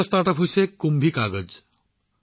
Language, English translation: Assamese, Another StartUp is 'KumbhiKagaz'